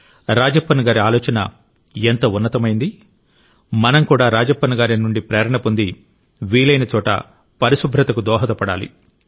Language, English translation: Telugu, Taking inspiration from Rajappan ji, we too should, wherever possible, make our contribution to cleanliness